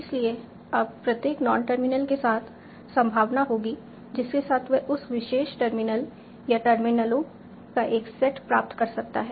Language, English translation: Hindi, So now with each non terminal, there will be probability with which it can derive that particular terminal or a set of terminals